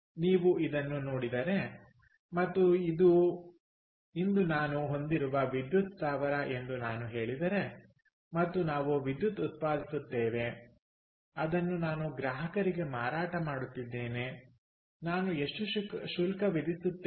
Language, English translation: Kannada, so if you look at this and i say that this is a power plant that i own today and we generating electricity which i am selling to customers